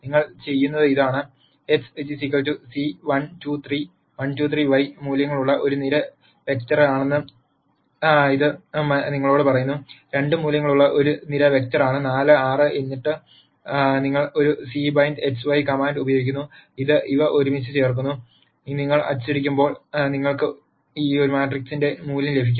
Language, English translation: Malayalam, What you do is: X is c 1, 2, 3 it tells you it is a column vector with values 1, 2, 3 y is a column vector with values 2, 4, 6 and then you use the command A c by x, y which puts these together and when you print A you get the value of this matrix